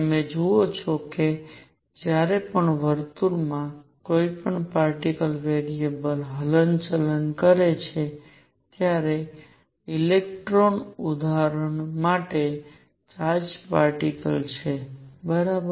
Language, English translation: Gujarati, You see whenever there is a particle moving in a circle a charged particle for an example an electron right